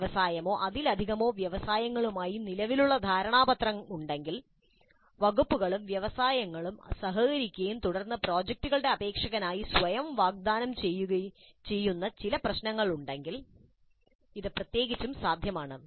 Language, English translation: Malayalam, This is particularly possible if there is an existing MOU with an industry or more industries whereby the departments and the industry collaborate and then there are certain problems which automatically offer themselves as the candidates for the projects